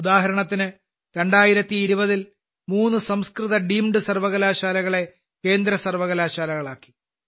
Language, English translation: Malayalam, For example, three Sanskrit Deemed Universities were made Central Universities in 2020